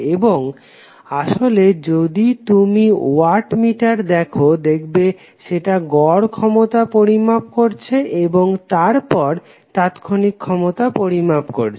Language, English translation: Bengali, Wattmeter is using is measuring the average power then the instantaneous power